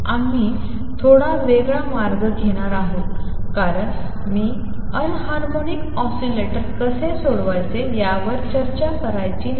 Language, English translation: Marathi, We are going to take a slightly different route because I do not want you to get walked down on how to solve for anharmonic oscillator